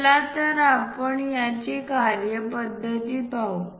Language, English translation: Marathi, Let us look at the procedure